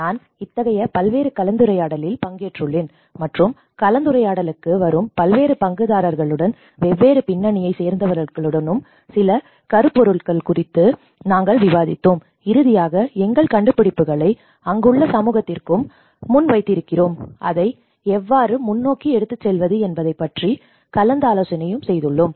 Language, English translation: Tamil, And I was also participated in number of discussions there with various different stakeholders coming into the discussion, people from different backgrounds and we did discussed on certain themes, and finally we also present our findings to the community present over there and how to take it forward